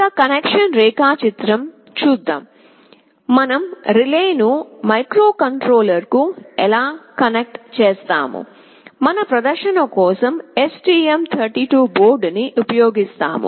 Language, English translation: Telugu, This is about the connection diagram how we will be connecting the relay to the microcontroller; we will be using STM32 board for the demonstration